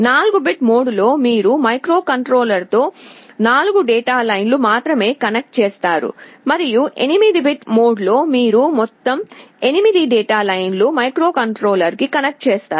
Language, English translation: Telugu, In 4 bit mode, you connect only 4 data lines with the microcontroller, and in the 8 bit mode, you will be connecting all 8 data lines to the microcontroller